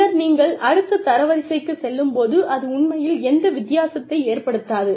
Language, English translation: Tamil, And then, when you move up to the next rank, it really does not make a difference